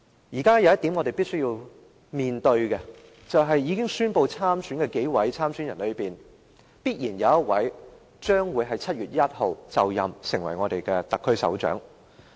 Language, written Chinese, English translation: Cantonese, 現時有一點是我們必須面對的，就是在已經宣布參選的人之中，必然有一位於7月1日就任成為特區首長。, Now there is something we must face . Among those who have announced their aspiration one will definitely assume office as the Chief Executive of the SAR on 1 July